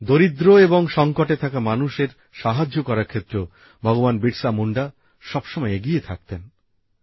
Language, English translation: Bengali, Bhagwan Birsa Munda was always at the forefront while helping the poor and the distressed